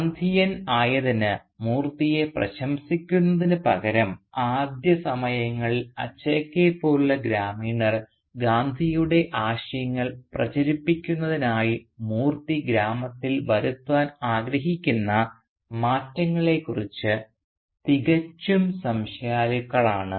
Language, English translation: Malayalam, Indeed rather than praising Moorthy for becoming one of the Gandhi man, villagers like Achakka at least in the initial stage, remains thoroughly sceptical about the changes that Moorthy seeks to make in the village to spread the ideals of Gandhi